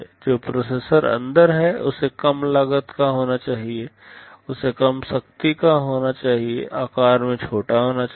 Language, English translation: Hindi, The processor that is inside has to be low cost it has to be low power, it has to be small in size